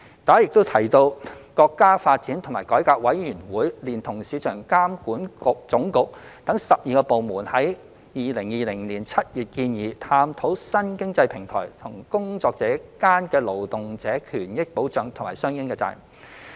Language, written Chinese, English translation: Cantonese, 大家也有提及，國家發展和改革委員會連同國家市場監督管理總局等12個部門，於2020年7月建議探討新經濟平台與工作者間的勞動者權益保障和相應責任。, As mentioned by some Members the National Development and Reform Commission together with 12 departments including the State Administration for Market Regulation proposed in July 2020 to explore the protection of labour rights and the corresponding responsibilities concerning new economic platforms and their workers